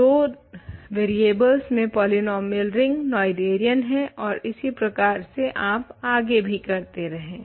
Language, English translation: Hindi, So, polynomial ring in 2 variables is Noetherian and you keep going